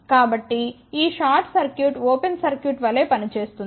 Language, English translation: Telugu, So, this short circuit will act as an open circuit